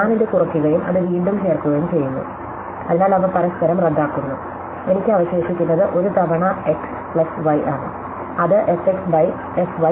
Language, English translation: Malayalam, So, I am subtracting this and adding it back, so the cancel each other, so therefore, all am left with is one times f x plus y which is f x by f y or f x y